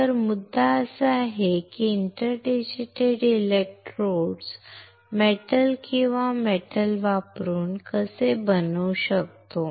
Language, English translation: Marathi, So, the point is how can I, how can I pattern this inter digitated electrodes from metal or using metal